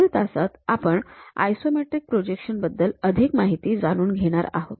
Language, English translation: Marathi, In the next class, we will learn more about these isometric projections